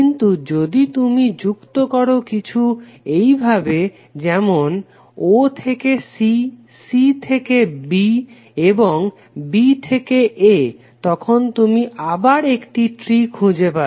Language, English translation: Bengali, But if you connected through some session like if you connect from o to c, c to b and b to a then you will again find the tree